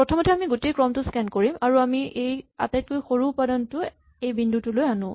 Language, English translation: Assamese, The first time, we will scan the entire sequence, and we would move this smallest element to this point